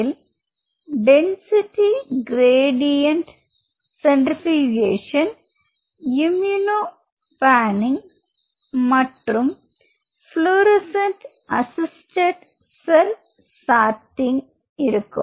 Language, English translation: Tamil, So, you have density gradient centrifugation, you have immuno panning you have fluorescent assisted cell sorter